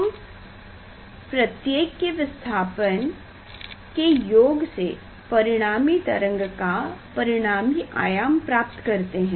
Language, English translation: Hindi, we add the displacement of individual one then we are getting the resultant amplitude of the resultant wave